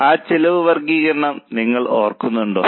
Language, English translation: Malayalam, Do you remember that cost classification